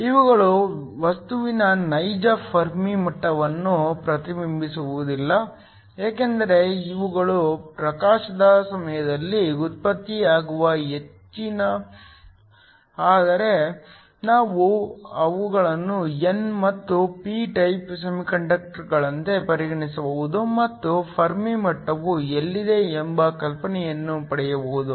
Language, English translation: Kannada, These do not reflect the real Fermi levels in the material because these are excess that are generated during illumination, but we can treat them as n and p type semiconductors and get an idea of where the Fermi level will be located